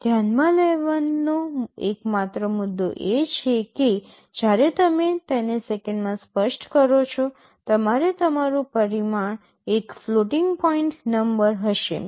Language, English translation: Gujarati, The only point to note is that when you specify it in seconds, your parameter will be a floating point number, you can write 2